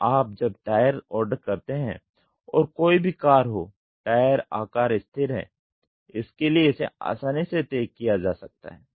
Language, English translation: Hindi, So, you order the tire and whatever might be the car the tire size is constant so it can be easily fixed